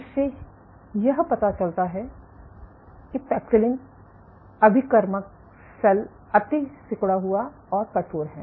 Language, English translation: Hindi, So, this suggests that paxillin transfected cells are hyper contractile and stiffer